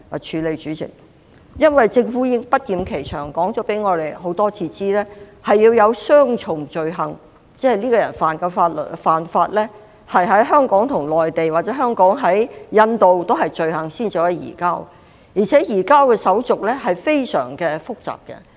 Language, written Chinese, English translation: Cantonese, 代理主席，政府已不厭其煩地多次告訴我們，必須符合雙重犯罪原則才可能進行移交，即一個人干犯罪行必須在香港及內地或香港及印度俱是罪行，才能移交，而且移交的程序非常複雜。, Deputy President the Government has reiterated repeatedly that offenders are extraditable only under the double criminality principle meaning the offence has to be punishable in both Hong Kong and the Mainland or Hong Kong and India in order for an extradition to be enforced . Moreover the surrender procedures are very complicated